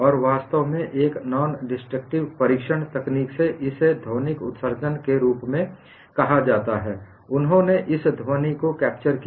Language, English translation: Hindi, And in fact, in one of the nondestructive testing technique called as acoustic emission, they capture this sound